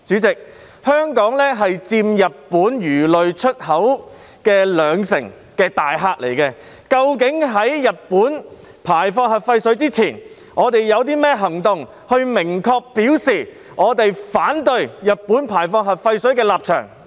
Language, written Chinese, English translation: Cantonese, 香港是佔日本魚類出口兩成的大客戶，究竟在日本排放核廢水前，我們有甚麼行動明確表示我們反對日本排放核廢水的立場？, Hong Kong is a major customer of Japanese aquatic products absorbing 20 % of Japans exports in this regard . Before Japans discharge of nuclear wastewater do we have any action to explicitly express our stance of opposition?